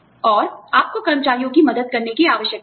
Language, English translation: Hindi, And, you need to help employees